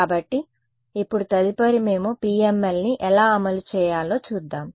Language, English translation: Telugu, So now, next is we will look at how to implement PML